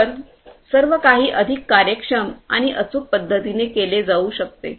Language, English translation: Marathi, So, everything could be done in a much more efficient and precise manner